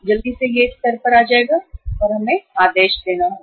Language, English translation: Hindi, Quickly it will come down to this level and we will have to place the order